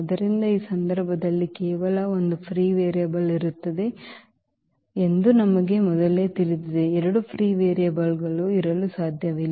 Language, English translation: Kannada, So, we know in advance that there will be only one free variable in this case, there cannot be two free variables